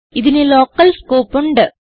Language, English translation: Malayalam, These have local scope